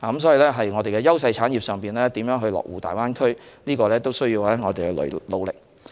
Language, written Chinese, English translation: Cantonese, 所以，我們的優勢產業如何落戶大灣區有賴我們的努力。, Therefore the development of industries in which Hong Kongs strengths lie in the Greater Bay Area will depend on our efforts